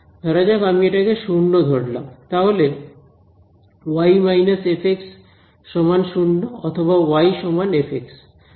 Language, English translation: Bengali, Supposing I set it to 0, then y minus f x equals 0 or y is equal to fx